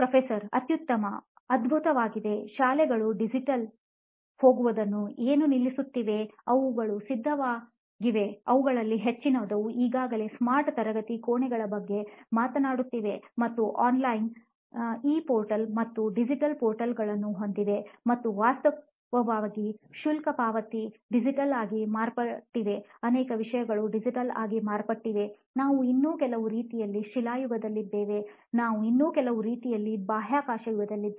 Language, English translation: Kannada, Excellent, great I have added that as in what is stopping us in going digital in the schools, because they are ready most of them are already been talking about smart classrooms and having online e portal and digital portals and all that in fact fee payment has become digital, so many things have become digital, how come still we are in some ways we are still stone age, in some ways we are space age